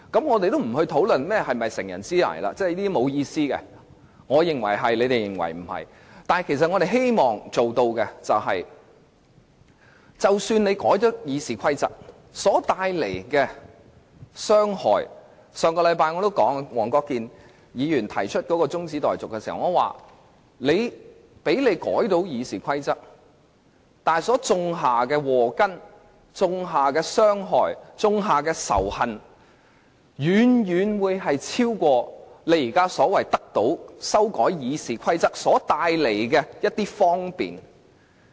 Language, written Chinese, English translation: Cantonese, 我們的目的，是即使他們成功修訂《議事規則》而帶來傷害......上星期，我在黃國健議員提出的中止待續議案辯論中已提及，他們成功修訂《議事規則》所種下的禍根、傷害及仇恨，將遠超他們口中所說修訂《議事規則》會帶來的方便。, Even if the successful amendment of RoP will cause damage our aim is to last week during the debate on the motion for adjournment proposed by Mr WONG Kwok - kin I already said that the scourge damage and animosity wrought by their successful amendment of RoP would far outweigh the convenience they claimed the amendment of RoP would bring about